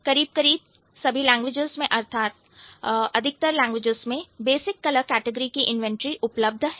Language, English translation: Hindi, Most languages in the world will have the inventory of basic color categories